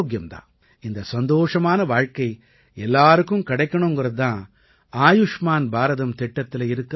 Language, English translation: Tamil, Look, our health is the biggest happiness in our lives, that everyone should get this cheerful life is the essence of Ayushman Bharat